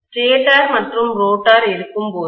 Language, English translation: Tamil, And when I have stator and rotor